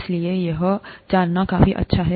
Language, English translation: Hindi, So, this is good enough to know